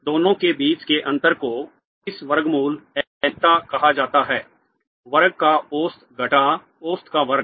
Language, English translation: Hindi, The difference between the two, the square root of this is called the uncertainty average of the square minus square of the average